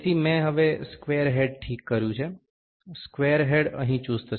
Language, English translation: Gujarati, So, I have fixed the square head now, the square head is tightened here